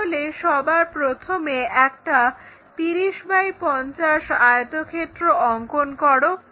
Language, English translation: Bengali, So, first of all construct 30 by 50 rectangle